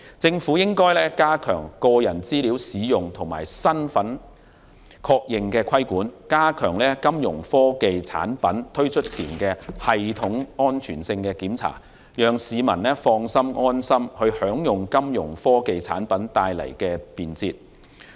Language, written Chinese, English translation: Cantonese, 政府應加強個人資料使用和身份確認的規管，加強金融科技產品推出前的系統安全性檢查，讓市民放心和安心地享用金融科技產品帶來的便捷。, The Government should enhance regulation on the use of personal data and identity verification and strengthen inspection on system security before Fintech products are launched so that people can use Fintech products and enjoy the convenience brought by Fintech products with ease and peace of mind